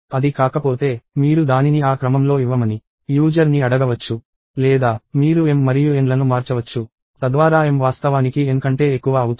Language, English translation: Telugu, If it is not, you can ask the user to give it in that order or you could change m and n, so that m actually becomes greater than n